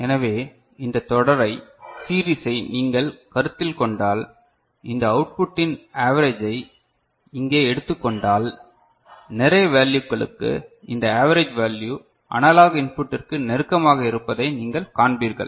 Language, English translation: Tamil, So, this series if you consider, if you just take a average of this output over here ok, for large number of these values, then you will see this average value is close to this analog input ok